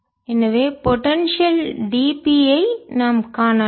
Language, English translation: Tamil, so this is vector, so we can see the potential d, b